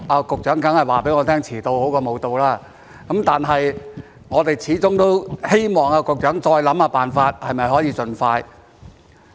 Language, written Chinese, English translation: Cantonese, 局長當然會告訴我遲到總比不到好，但是我們始終希望局長再想想辦法，是否可以盡快完成。, The Secretary will surely tell me that it is better late than never but it remains our hope that the Secretary devises ways to bring it to fruition as soon as possible